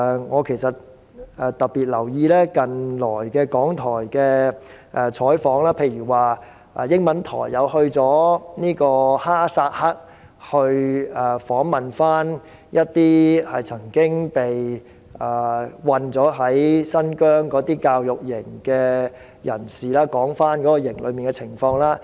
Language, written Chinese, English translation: Cantonese, 我特別留意港台近期的採訪，例如英文台便有記者前往哈薩克，訪問一些曾經被困新疆教育營的人，談談營內的情況。, I have paid special attention to the recent reporting work of RTHK . Take a programme on its English Channel as an example . Reporters have been sent to Kazakhstan to interview people who have been detained in the education camp in Xijiang and asked them to describe the conditions in the camp